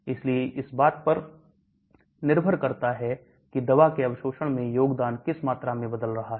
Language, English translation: Hindi, So depending upon which contributes towards the absorption of the drug the volume can change